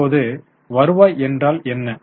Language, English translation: Tamil, Now what is a return here